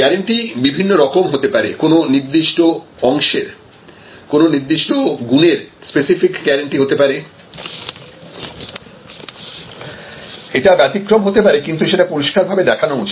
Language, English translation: Bengali, So, guarantees can be given in different ways, it can be single attributes specific guarantee for a particular part that can be exceptions and make it very clear